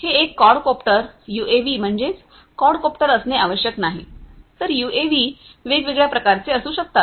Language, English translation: Marathi, So, this is a quadcopter UAVs do not necessarily have to be quadcopters, UAVs could be of different different types